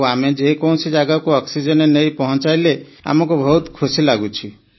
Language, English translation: Odia, And wherever we deliver oxygen, it gives us a lot of happiness